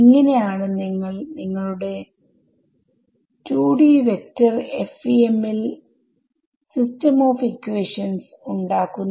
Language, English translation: Malayalam, So, this is how you build a system of equations in your 2D vector FEM